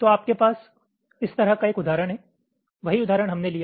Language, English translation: Hindi, so you have an example like this, the same example we took